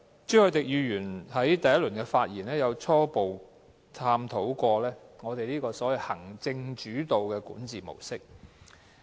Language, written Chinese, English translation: Cantonese, 朱凱廸議員在第一次發言時，初步探討過行政主導的管治模式。, Mr CHU Hoi - dick has made a preliminary examination of executive - led governance in his first speech